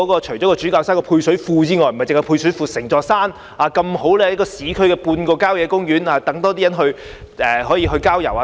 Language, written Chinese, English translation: Cantonese, 除了主教山的配水庫外——那兒不單有配水庫——整座山剛好位於市區，像半個郊野公園，讓更多人可以去郊遊等。, Apart from the underground cistern―it is not the only thing there―Bishop Hill itself is like a quasi - country park . Situated in the urban area it will make more people able to visit the natural environment